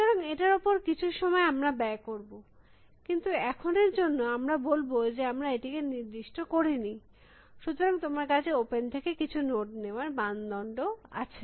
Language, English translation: Bengali, So, will spent some time on that, but as of now, we will has say that, we are not specified it, so you some criteria to pick a node from open